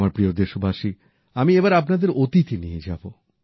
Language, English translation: Bengali, My dear countrymen, I want to transport you to a period from our past